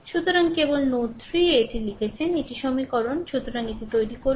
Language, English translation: Bengali, So, just written this at node 3 these are the equations So, you make it right